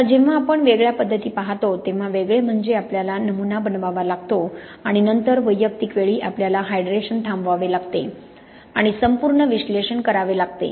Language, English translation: Marathi, Now when we look at discrete methods, discrete means that we have to make a sample and then at individual times we have to stop the hydration and do the complete analysis